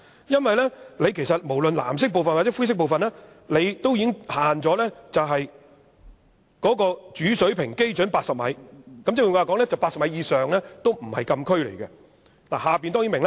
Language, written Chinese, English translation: Cantonese, 因為無論是藍色或灰色部分，也已限制高度在主水平基準80米，換言之 ，80 米以上已不是禁區。, In fact whether it is the blue zone or the grey zone the height is limited to 80 m above Hong Kong Principal Datum mPD . In other words the closed area does not cover any area higher than 80 mPD